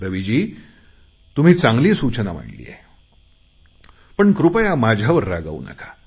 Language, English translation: Marathi, Raviji you have given a good suggestion, but please don't get angry with me